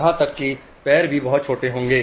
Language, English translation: Hindi, Even the feet will be very small